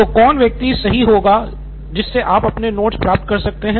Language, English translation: Hindi, So who would be the right person from which you can get your notes